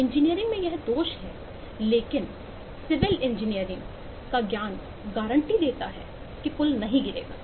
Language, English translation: Hindi, that’s faults in engineering, but the civil engineering knowledge guarantees that the bridges will not fall